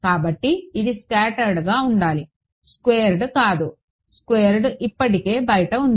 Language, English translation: Telugu, So, this should be scattered not squared the squared is already outside